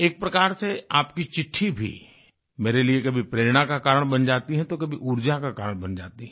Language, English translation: Hindi, One way, a letter from you can act as a source of inspiration for me; on the other it may turn out to be a source of energy for me